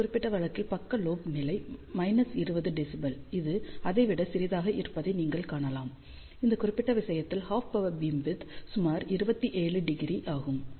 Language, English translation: Tamil, In this particular case side lobe level is of the order of minus 20 dB, you can see this is smaller than this over here, in this particular case half power beamwidth is about 27 degree